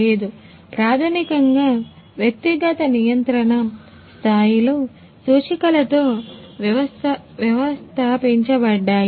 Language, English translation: Telugu, No basically individuals’ controls levels are installed with the indicators ah